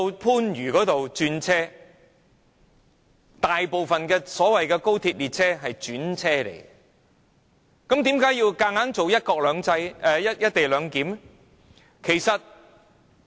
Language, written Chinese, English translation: Cantonese, 事實上，大部分的高鐵列車乘客都在番禺轉乘，為何硬要推行"一地兩檢"呢？, In fact as most passengers of XRL trains will interchange at Panyu why should the co - location arrangement be forcibly implemented?